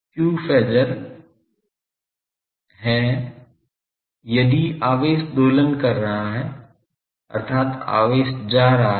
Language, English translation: Hindi, q Phasor is if the charge is oscillating that means, charge is going